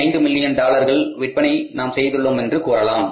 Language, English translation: Tamil, 5 million of the sales we are doing